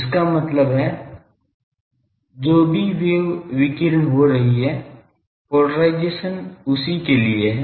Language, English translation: Hindi, That means whatever wave it is radiating, the polarisation is for that